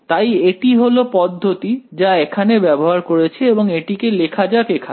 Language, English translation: Bengali, So, this is the approach that we used over here so let us write it over here